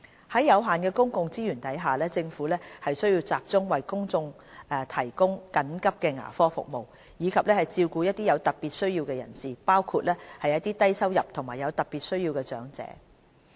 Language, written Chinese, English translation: Cantonese, 在有限的公共資源下，政府需要集中為公眾提供緊急牙科服務，以及照顧一些有特別需要的人士，包括低收入及有特別需要的長者。, With limited public resources the Government has to focus on providing emergency dental services for the public and taking care of people with special needs including low - income elders with special needs to receive dental care support services